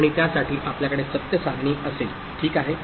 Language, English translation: Marathi, And for that we shall have a truth table something like this; how, ok